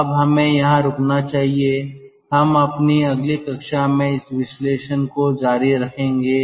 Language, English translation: Hindi, so let us stop over here and ah ah, we will continue with this analysis in our next class